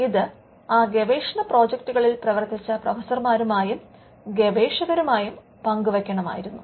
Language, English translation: Malayalam, It was required to share it with the professors and the researchers who worked on those research projects